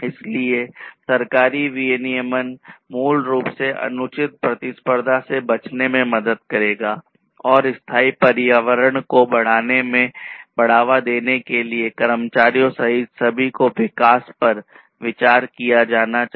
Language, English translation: Hindi, So, government regulation will help in basically avoiding unfair competition and also to promote sustainable environment considered development for everyone including the employees of the organization or the industry